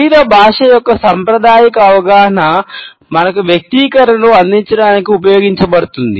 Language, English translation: Telugu, The conventional understanding of body language used to provide us a personalization